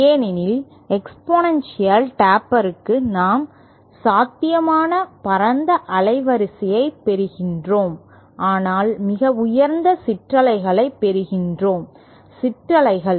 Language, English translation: Tamil, Because for the exponential taper we see that we get the widest possible bandwidth but then we get the highest ripples